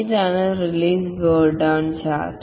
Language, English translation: Malayalam, This is the release burn down chart